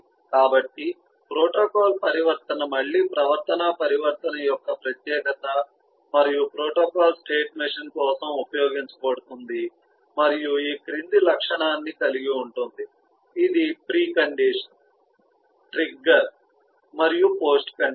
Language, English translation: Telugu, so a protocol transition is again a specialization of a behavioral transition and used for the protocol state machine and has a following feature, which is a pre condition or trigger and a post condition: precondition, trigger and the post condition